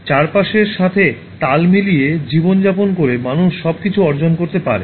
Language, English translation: Bengali, By living in harmony with the surrounding, man can gain everything